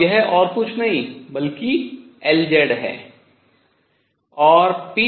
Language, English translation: Hindi, And this is nothing but L z